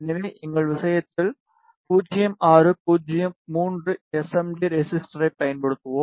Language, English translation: Tamil, So, in our case we will be using 0603 SMD resistor